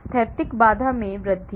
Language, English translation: Hindi, increase steric hindrance